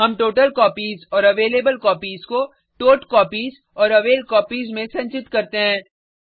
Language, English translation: Hindi, We store the totalcopies and availablecopies to totcopies and availcopies